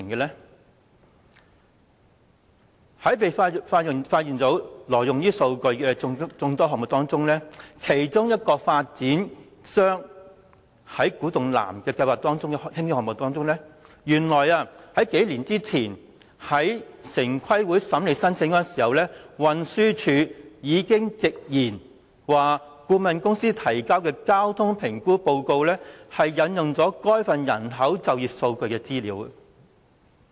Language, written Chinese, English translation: Cantonese, 在被揭發挪用數據的眾多項目當中，包括一個計劃在古洞南興建的項目，原來數年前城規會審理該項申請時，運輸署已經直言顧問公司提交的交通評估報告引用了該份人口及就業數據資料。, Among the numerous projects exposed to involve the illegal use of data including a planned construction project to be carried out at Kwu Tung South it turned out that when the application was examined by TPB a couple of years ago the Transport Department admitted frankly that data from TPEDM were quoted in the traffic assessment report submitted by the consultancy